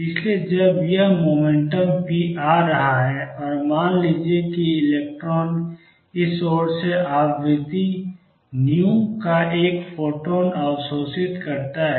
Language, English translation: Hindi, So, when this momentum p is coming in and suppose the electron absorbs a photon of frequency nu from this side